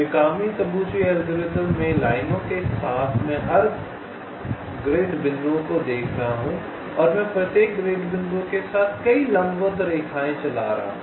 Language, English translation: Hindi, in the mikami tabuchi algorithm, along the lines, i am looking at every grid points and i am running so many perpendicular lines along each of the grid points